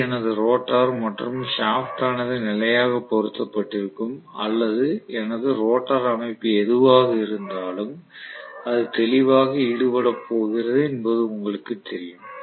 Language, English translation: Tamil, This is my rotor and the shaft is fixed or you know exactly it is going to be engaging clearly with whatever is my rotor structure